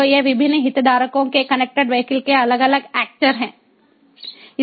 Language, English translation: Hindi, so these are the different stakeholders, different actors of connected vehicles